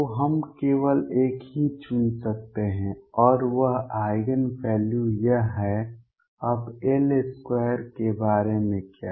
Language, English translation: Hindi, So, we can choose only one right and that Eigen value is this, now what about L square